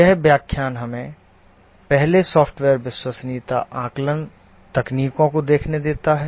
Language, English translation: Hindi, In this lecture, let's first look at software reliability